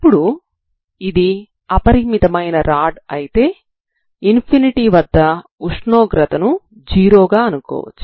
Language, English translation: Telugu, So now if it is infinite rod at infinity you can assume that a temperature is 0, okay